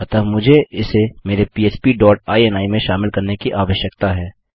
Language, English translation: Hindi, So I need to incorporate this into my php dot ini